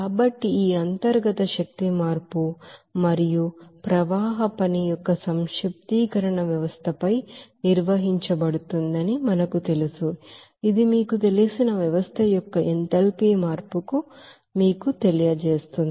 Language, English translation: Telugu, So as we know that the summation of this internal energy change and also flow work performed on the system that will give you that you know enthalpy change of the you know system there